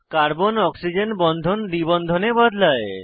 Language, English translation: Bengali, Convert Carbon Oxygen bond to a double bond